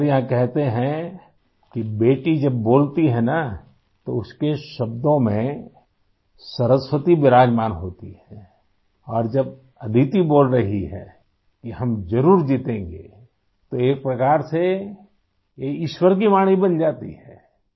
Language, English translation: Urdu, It is said here that when a daughter speaks, Goddess Saraswati is very much present in her words and when Aditi is saying that we will definitely win, then in a way it becomes the voice of God